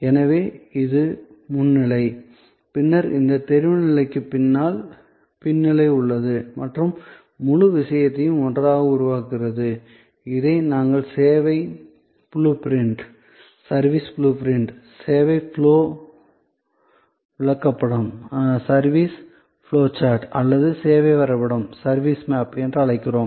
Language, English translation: Tamil, And therefore, this is the front stage and then, behind this line of visibility, we have the back stage and the whole thing together is creates the, what we call the service blue print, the service flow chat or the service map